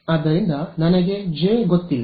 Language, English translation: Kannada, So, I do not know J